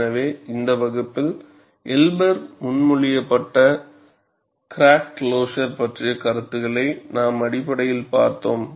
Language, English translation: Tamil, So, in this class, we have essentially looked at concepts of crack closure proposed by Elber